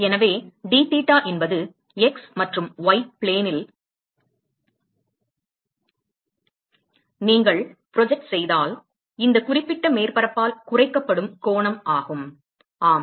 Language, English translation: Tamil, So, dtheta is angle that is subtended by this particular surface if you project it on the x and y plane ok